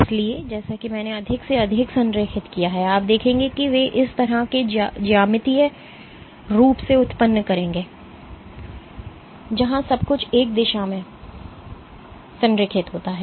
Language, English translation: Hindi, So, as I align more and more you will see they will generate this kind of geometries eventually where everything is aligned in one direction